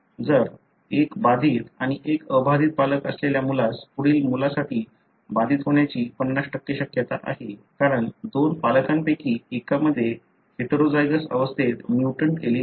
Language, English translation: Marathi, If a child with one affected and one unaffected parent has for the next child it is 50% chance for being affected simple because, of the two parents one is having mutant allele in a heterozygous condition